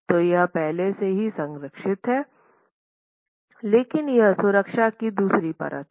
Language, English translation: Hindi, So, it is already protected but this is the second layer of protection